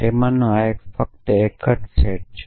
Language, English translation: Gujarati, So, this is just a set